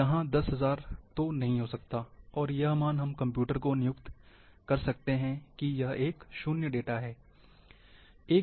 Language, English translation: Hindi, So, 10,000 cannot be there, and, this value, we can assign to the computer, it is no data value